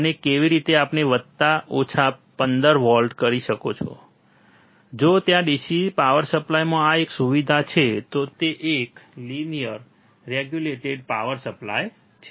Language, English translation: Gujarati, And how we can apply plus minus 15 volts if there is a facility within the DC power supply, it was a linear regulated power supply